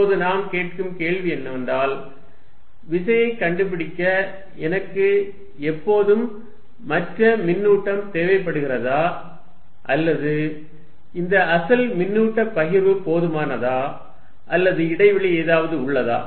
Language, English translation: Tamil, The question we ask now is, is it that I always need the other charge to find the force or this is original charge distribution itself does something in the space